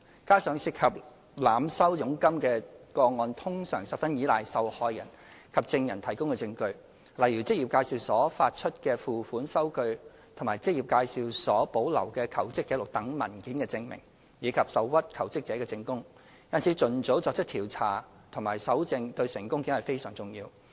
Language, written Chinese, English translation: Cantonese, 加上涉及濫收佣金的個案通常十分依賴受害人及證人提供的證據，例如職業介紹所發出的付款收據及職業介紹所保留的求職紀錄等文件證明，以及受屈求職者的證供，因此盡早作出調查和搜證對成功檢控非常重要。, Moreover cases involving overcharging of commission in general rely heavily on evidence from victims and witnesses which includes such documentary proof as payment receipts issued by employment agencies and placement records kept by employment agencies as well as statements given by the aggrieved jobseekers . Early investigation and evidence collection is thus crucial to a successful prosecution